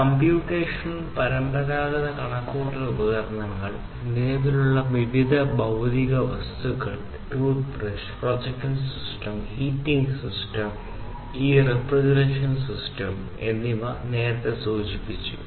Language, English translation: Malayalam, So, computational as well as the traditional computational devices plus the present different physical objects, all these objects that I mentioned like the toothbrush, projection system, heating system and this refrigeration system, and so on